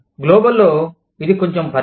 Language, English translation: Telugu, In global, it is little bit of scope